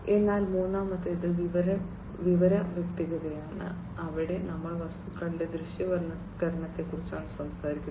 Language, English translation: Malayalam, So, the third one is information clarity, where we are talking about the visualization of the objects